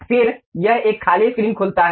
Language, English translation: Hindi, Then it opens a blank screen